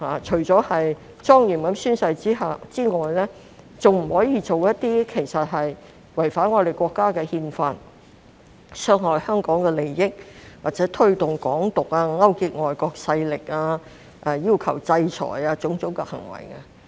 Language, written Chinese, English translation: Cantonese, 除了莊嚴宣誓之外，亦不可以做違反我們國家的憲法、傷害香港的利益或推動"港獨"及勾結外國勢力、要求制裁等行為。, Apart from taking the oath solemnly the oath taker shall not commit acts which contravene the Constitution of our country harm the interests of Hong Kong promote Hong Kong independence collude with foreign forces demand for sanctions etc